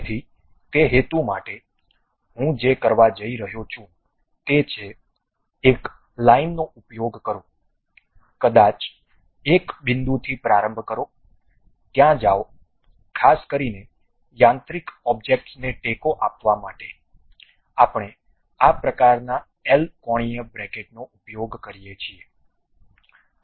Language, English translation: Gujarati, So, for that purpose, what I am going to do is, use a line, maybe begin with one point, go there; typically to support mechanical object, we use this kind of L angular brackets